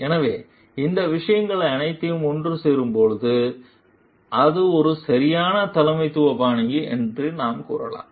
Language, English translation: Tamil, So, when all these things come together, then we can tell it is a proper leadership style